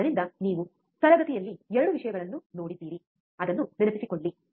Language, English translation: Kannada, So, we have seen both the things in the class so, just recall it